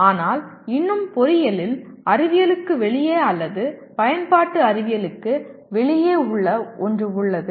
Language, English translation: Tamil, But still something in engineering that is outside science or outside applied science does exist